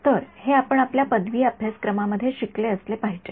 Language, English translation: Marathi, So, this is something which is you should have studied in your undergraduate course